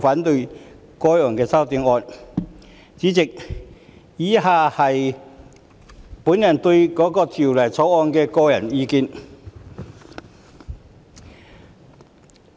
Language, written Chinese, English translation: Cantonese, 代理主席，以下是我對《條例草案》的個人意見。, Deputy President next I will give my personal views on the Bill